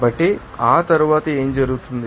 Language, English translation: Telugu, So, after that what will happen